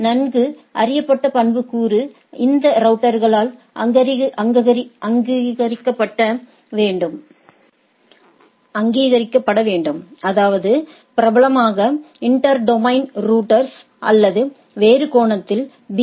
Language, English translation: Tamil, So, well known attribute should be recognized by these routers; that is, inter domain routers right, popularly that or in other sense that BGP routers